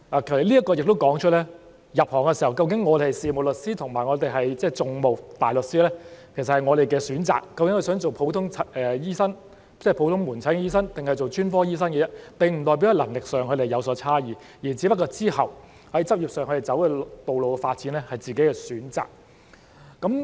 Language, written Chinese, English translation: Cantonese, 這亦說出了，入行的時候，究竟我們是事務大律師還是訟務大律師，其實是我們的選擇；即究竟想做普通醫生，即普通門診醫生，還是專科醫生，這並不代表他們在能力上有所差異，只是他們之後在執業上的發展道路有自己的選擇。, It also tells the fact that when we enter the profession it is indeed our choice to be barristers or solicitors . In other words whether someone wants to be a general practitioner ie . outpatient general practitioners or specialists does not reflect any difference in their competence only that they pursue development of professional pathways of their own choice